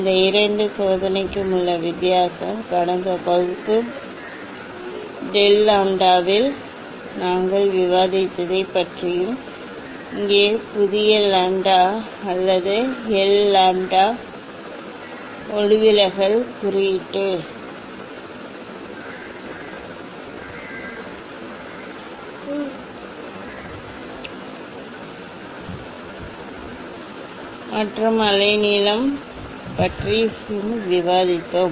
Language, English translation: Tamil, Only difference between this two experiment, experiment what about we discussed in last class del lambda and here new lambda or l lambda, refractive index versus wavelength